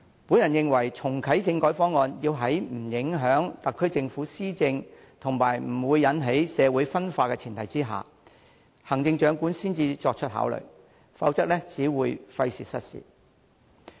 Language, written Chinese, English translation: Cantonese, 我認為，要在不影響特區政府施政及不會引起社會分化的前提下，行政長官才可作出考慮重啟政改方案，否則只會費時失事。, I believe the Chief Executive can only consider reactivating constitutional reform on the basis of not affecting the SAR Governments policy implementation and arousing social conflicts . Otherwise this will just be a waste of time and effort